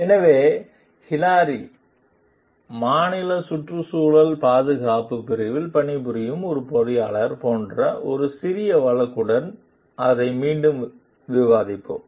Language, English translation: Tamil, So, will discuss it again with a small case like Hilary is an engineer working for the state environmental protection division